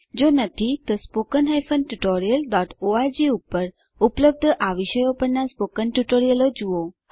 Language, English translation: Gujarati, If not, please see the spoken tutorial on these topics available at spoken tutorial.org